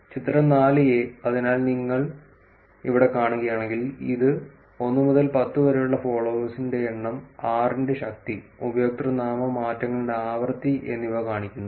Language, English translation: Malayalam, Figure 4 , so if you see here, this shows number of followers from 1 to 10 to the power of 6, frequency of username changes